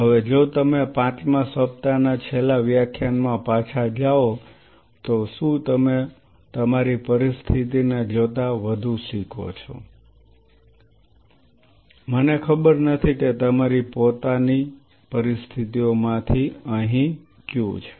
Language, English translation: Gujarati, Now if you go back in the last lecture of fifth week now do you feel more learn at that given your situation I do not know which one of here of your own set of situations